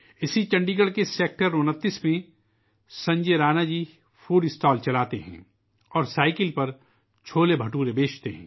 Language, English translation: Urdu, In Sector 29 of Chandigarh, Sanjay Rana ji runs a food stall and sells CholeBhature on his cycle